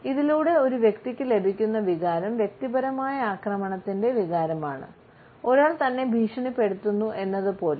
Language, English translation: Malayalam, The feeling which the person receives is the feeling of the personal attack and one feels threatened by it